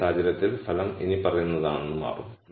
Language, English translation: Malayalam, In this case it will turn out that the result is the following